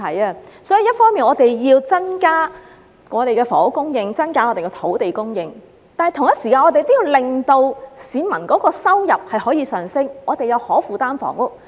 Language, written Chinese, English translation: Cantonese, 為此，政府一方面要增加房屋供應和土地供應，另一方面要同時令市民的收入上升、香港有可負擔的房屋。, Therefore the Government should not only increase the supply of housing and land but also boost household income to make housing affordable in Hong Kong